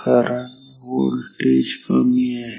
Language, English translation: Marathi, So, what is the voltage here